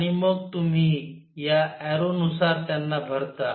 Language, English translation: Marathi, And then you fill them according to this arrow